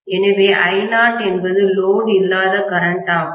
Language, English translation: Tamil, So, I naught is the no load current